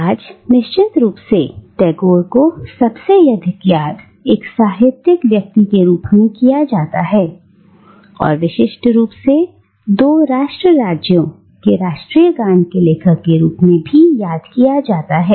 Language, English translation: Hindi, Today, of course, Tagore is best remembered as a literary figure and, more specifically, as the author of the national anthems of two nation states